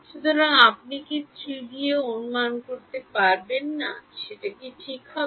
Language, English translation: Bengali, So, can you guess in 3D what will happen